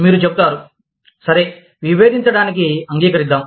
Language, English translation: Telugu, You will say, okay, let us agree to disagree